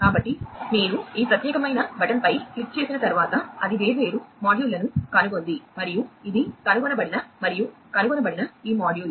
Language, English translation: Telugu, So, you know once you click on this particular button it has discovered different modules and this is this module that has been discovered and has been found